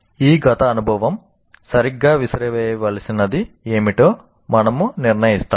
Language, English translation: Telugu, This past experience will decide what exactly is the one that is to be thrown out